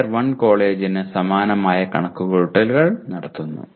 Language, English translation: Malayalam, The same computations are done for Tier 1 college